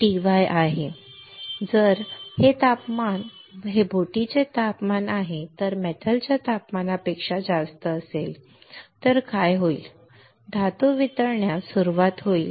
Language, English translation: Marathi, So, if this temperature which is the temperature of the boat is way higher than the temperature of metal, what will happen is the metal will start melting